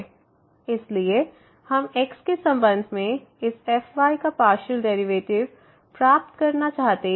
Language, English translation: Hindi, So, we want to get the partial derivative of this with respect to